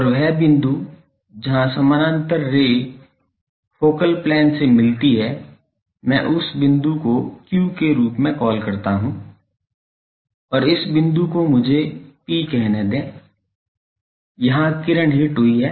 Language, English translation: Hindi, And, the point where the parallel ray meets the focal plane let me call that as point Q and this point let me call it P, where the ray has hit